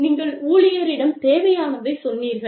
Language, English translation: Tamil, Yes, you told the employee, what was required